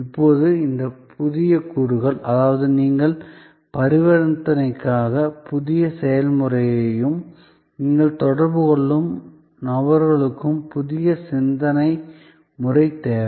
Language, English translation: Tamil, Now, there, these new elements; that means the way you transact the new process of transaction and the people with whom you interact need new way of thinking